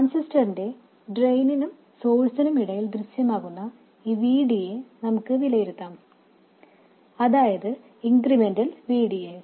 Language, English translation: Malayalam, Let's evaluate this VD which appears between the drain and source of the transistor, that is the incremental VD